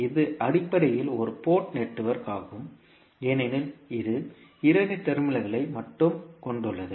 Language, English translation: Tamil, So, this is basically a one port network because it is having only two terminals